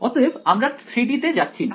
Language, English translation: Bengali, So, we’re not going to 3D ok